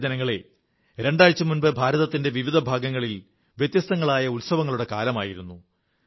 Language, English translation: Malayalam, My dear countrymen, a couple of weeks ago, different parts of India were celebrating a variety of festivals